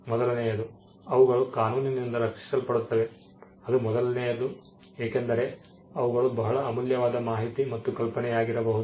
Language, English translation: Kannada, The first thing is that they are protectable by law that is the first thing, because they could be very valuable information and idea which the law does not protect